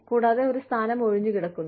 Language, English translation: Malayalam, And, there is a position, that is vacant